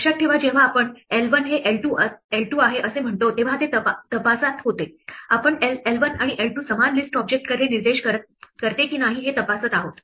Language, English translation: Marathi, Remember was checking when we say l 1 is l 2, we are checking whether l 1 and l 2 point to the same list object